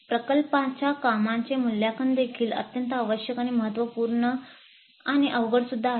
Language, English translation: Marathi, Now the assessment of project workup is also very essential and crucial and difficulty also